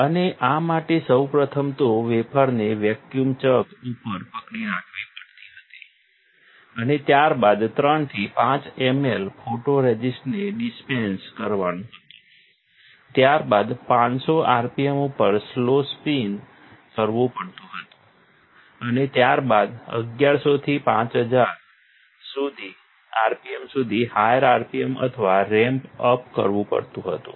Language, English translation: Gujarati, And for this first is that we had to hold wafer onto a vacuum chuck and then dispense 3 to 5 ml of photoresist, then slow spin at 500 rpm followed by higher rpm or ramp up to, from 1100 to 5000 rpm